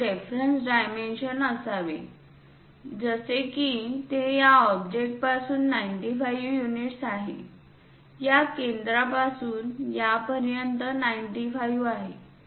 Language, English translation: Marathi, There should be a reference dimension, something like this is 95 units from the object from this center to this one is 95